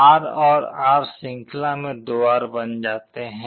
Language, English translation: Hindi, R and R in series becomes 2R